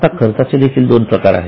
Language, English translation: Marathi, Now expenses are also of two type